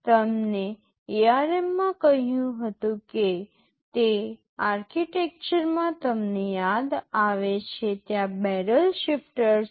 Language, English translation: Gujarati, You recall in the architecture I told in ARM there is a barrel shifter